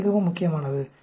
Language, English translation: Tamil, So, that is very, very important